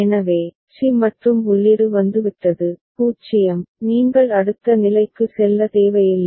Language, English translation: Tamil, So, c and input has come, 0, you need not go to the next state